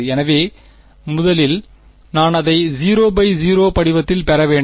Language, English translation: Tamil, So, first I have to get it into a 0 by 0 form right